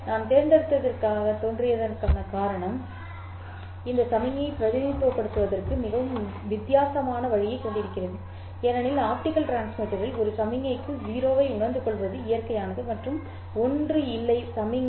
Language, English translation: Tamil, The reason why I have seemed to have chosen a very different kind of a way to represent this signal is because in the optical transmitter it is natural to realize a 0 to a signal and 1 to no signal